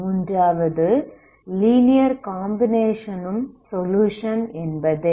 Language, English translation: Tamil, Third one is linear combination of this is a solution, right